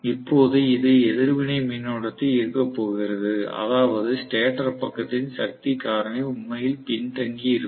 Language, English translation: Tamil, Now, it is going to draw reactive current, which means the power factor of the stator side is going to be actually lagging